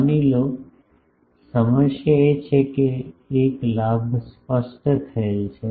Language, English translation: Gujarati, Suppose, the problem is a gain is specified